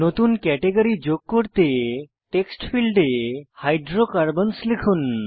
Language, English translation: Bengali, Lets add a new Category, by typing Hydrocarbons in the text field